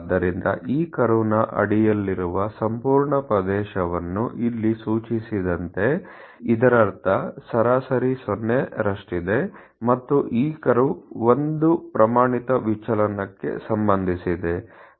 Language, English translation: Kannada, So, almost the entire area under this curve something as indicated here this is mean around 0, and there is standard deviation of associated with this curve